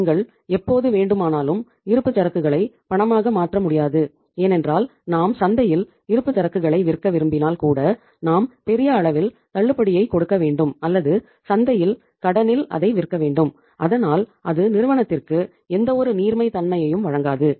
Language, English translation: Tamil, You cannot convert the inventory into cash as and when you want it because if we want to sell the inventory in the market even either we have to give the huge discount or we have to sell it on the credit in the market so that is not going to provide any liquidity to the firm